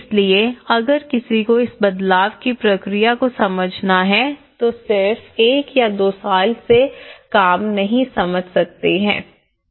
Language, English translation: Hindi, So, if one has to understand this change process, it is not just we can understand from one year work or two year work